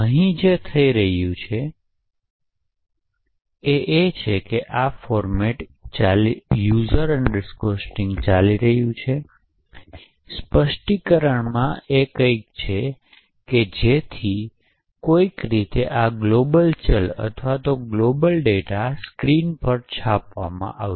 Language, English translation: Gujarati, So what is happening over here is that the something fishy going on in this format specifier present in user string so that somehow this global variable or this global data gets printed on the screen